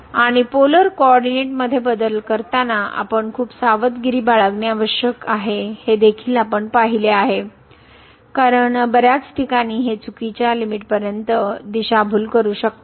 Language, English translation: Marathi, And what we have also observed that we need to be very careful while changing to polar coordinate, because that may mislead to some wrong limit in min many cases